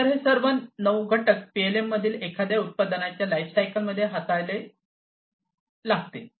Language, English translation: Marathi, So, all of these different nine components will have to be handled in the lifecycle of a product in PLM